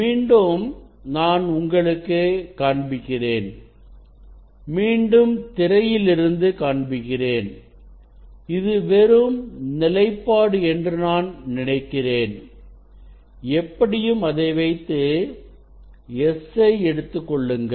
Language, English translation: Tamil, again, I will show you, again I will show you from the screen I think it is the just take position s anyway keep it and take s